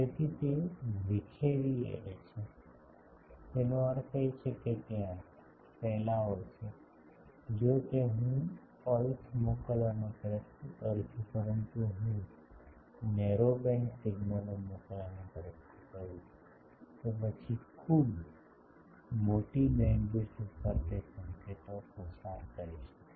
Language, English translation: Gujarati, So, it is a dispersive array; that means, there are dispersion if it, if I try to send a pulse, but if I try to send narrow band signals, then over a very large bandwidth it can pass that signals